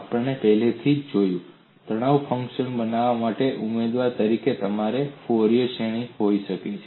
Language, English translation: Gujarati, We have seen already, you could have Fourier series, as a candidate for constructing stress functions